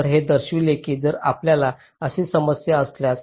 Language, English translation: Marathi, so this shows that if we have a problem like this